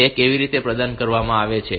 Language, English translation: Gujarati, How is it provided